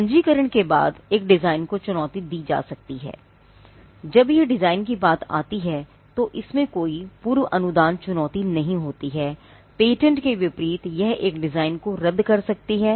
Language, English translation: Hindi, A design can be challenged after it is registration, there is no pre grant challenge in when it comes to designs, unlike patents and it can result in the cancellation of a design